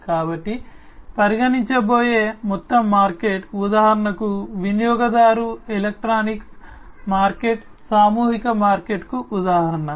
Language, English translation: Telugu, So, the whole market that is going to be considered, for example the consumer electronics market is an example of a mass market